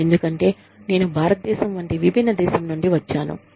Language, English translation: Telugu, Because, i come from such a diverse country, like India